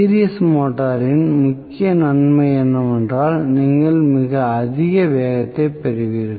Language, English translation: Tamil, Series motor the major advantage you will have extremely high speed possible